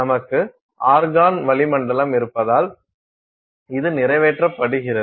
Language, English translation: Tamil, This is accomplished by the fact that we have an argon atmosphere